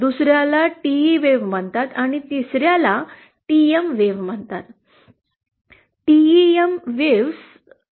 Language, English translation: Marathi, 2nd is called TE waves and 3rd is called TM waves